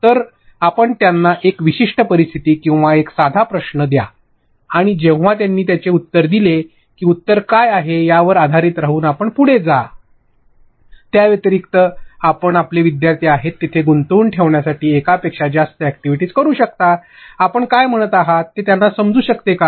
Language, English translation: Marathi, So, you give them a certain scenario or a simple question and when they have answered that, you proceed based upon what are the answer it right; other than that you can also have multiple activities in between to gauge where your learners are, are they even understanding what you are saying